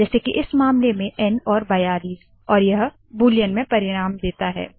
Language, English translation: Hindi, In this case n and 42 and gives the result in Boolean